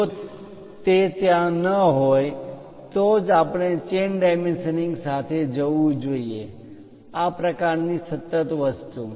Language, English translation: Gujarati, If that is not there then only, we should go with chain dimensioning; this kind of continuous thing